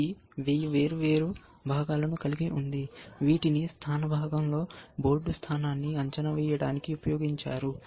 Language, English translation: Telugu, It has a 1000 different component, which were use to evaluate the board position, in the positional part